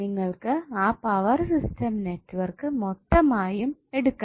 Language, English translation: Malayalam, you have to take the complete power system network